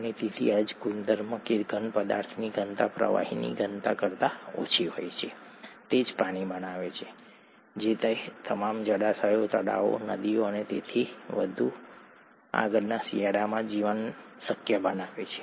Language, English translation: Gujarati, And so this very property that the density of the solid is less than the density of liquid is what makes water, what makes life possible in all those water bodies, lakes, rivers and so on and so forth, in winter